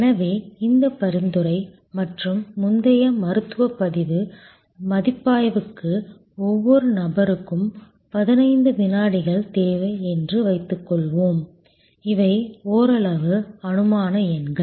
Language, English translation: Tamil, So, each person for this referral and previous medical record review, suppose needs 15 seconds these are somewhat hypothetical numbers